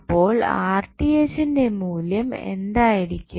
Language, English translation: Malayalam, So, what would be the value of Rth